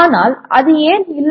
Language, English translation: Tamil, But why is it not so